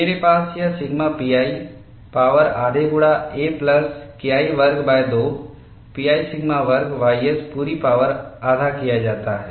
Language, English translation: Hindi, I have this as sigma pi power half multiplied by a plus K 1 square divided by 2 pi sigma square ys whole power half